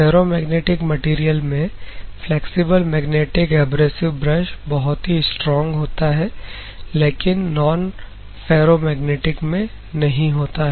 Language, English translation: Hindi, In the difference between ferromagnetic and ferromagnetic material, you can see here flexible magnetic abrasive brush is very strong in case of ferromagnetic, but not in case of non ferromagnetic